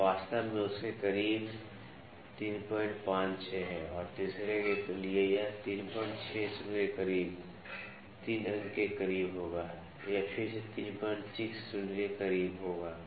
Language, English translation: Hindi, 56 close to that and for the third one it will be close to 3 point close to 3